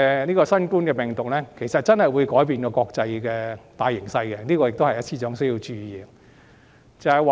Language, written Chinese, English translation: Cantonese, 其實，新型冠狀病毒真的會改變國際大形勢，這是司長需要注意的。, In fact the novel coronavirus will really change the general international situation . This is what the Financial Secretary needs to note